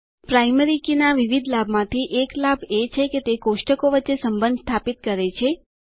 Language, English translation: Gujarati, One of the various advantages of a primary key is that it helps to establish relationships between tables